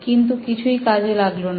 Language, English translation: Bengali, None of them worked